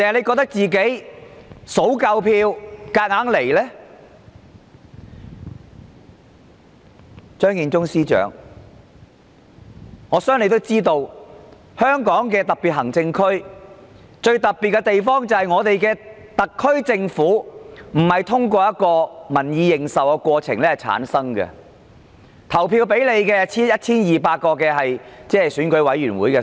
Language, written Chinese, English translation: Cantonese, 我相信張建宗司長也應該知道，香港特別行政區最特別的地方，便是特區政府並不是透過獲民意認受的過程產生，有權投票選出行政長官的人，只有 1,200 名選舉委員會委員。, I believe Chief Secretary Matthew CHEUNG should know that the most special feature of the Hong Kong SAR is that the SAR Government is not formed through a process recognized by the public . Only 1 200 members of the Election Committee have the right to vote in the Chief Executive election